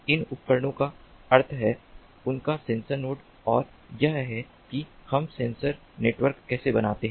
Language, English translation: Hindi, these devices means their sensor nodes, and this is how we build up a sensor network